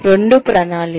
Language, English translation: Telugu, Two is planning